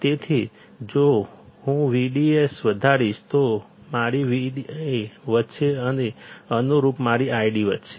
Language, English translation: Gujarati, So, if I increase V D S, my V D will increase and correspondingly my I D will increase